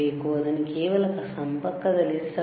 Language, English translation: Kannada, Do not just keep it connected